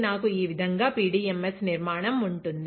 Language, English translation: Telugu, I will have PDMS structure like this, right